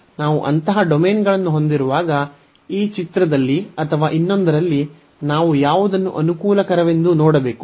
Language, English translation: Kannada, But, when we have such a domains for example, in this figure or in the other one then we should see that which one is convenience